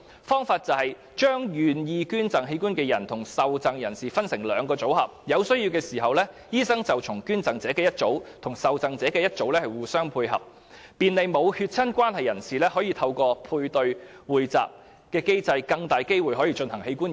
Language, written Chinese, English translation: Cantonese, 方法是把願意捐贈器官的人與受贈人士分成兩個組合，當有需要時，醫生會就捐贈者的一組與受贈者的一組互相配對，便利沒有血親關係的人士透過配對或匯集機制，有更大機會進行器官移植。, The idea is to have two incompatible donorrecipient pairs . When necessary the doctor will match the donor in one pair with the recipient in the other pair . Such a paired or pooled mechanism can facilitate the matching of donors and recipients who are not genetically related thus greatly increasing the chances of organ transplants